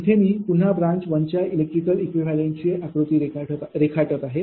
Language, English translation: Marathi, let me draw it for you, right, this is again i am drawing the same electrical equivalent of branch one